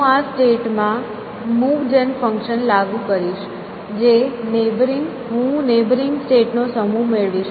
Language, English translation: Gujarati, So, I will apply the move gen function to this state, I will get a set of neighboring states